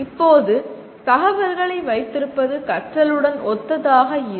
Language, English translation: Tamil, Now, possession of information is not synonymous with learning